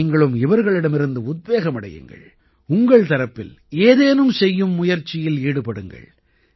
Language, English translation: Tamil, You too take inspiration from them; try to do something of your own